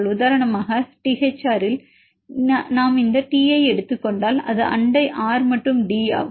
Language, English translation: Tamil, For example in this Thr if we take this T, it is neighbor is R and D